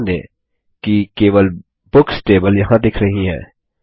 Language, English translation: Hindi, Notice that Books is the only table visible here